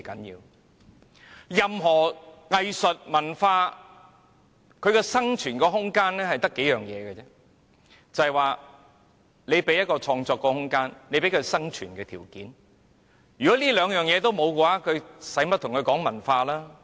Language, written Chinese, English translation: Cantonese, 任何藝術、文化的生存空間只講求兩個條件，那便是創作空間和生存條件，如不提供這兩個條件，還談甚麼文化呢？, When we talk about the room for survival of any forms of arts and culture only two conditions are involved namely space for creation and conditions for survival and without these two conditions what is there for us to talk about culture?